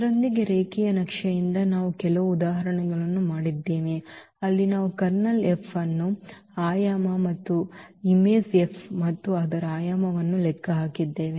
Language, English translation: Kannada, So, here what we have done today, with this from the linear map we have done some examples where we have computed the Kernel F also the dimension of the Kernel F as well as the image F and its dimension